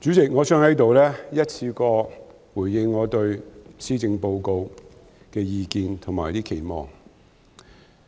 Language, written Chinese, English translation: Cantonese, 主席，我想在此一次過回應我對施政報告的意見和期望。, President I would like to state my views and expectations in response to the Policy Address in one go